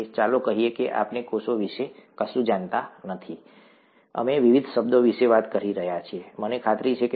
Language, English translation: Gujarati, Let us say we know nothing about cells, we have been talking of various terms, I am sure, even in the other lectures by Dr